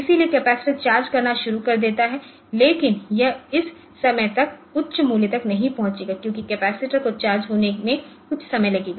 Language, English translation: Hindi, So, capacitor starts charging, but it will not reach to the high value till up to this time because capacitor will take some time to charge